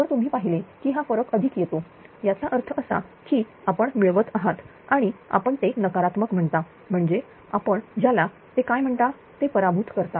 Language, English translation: Marathi, If you see that this difference is positive; that means, you are gaining and if you say it is negative means you are what you call you are a loser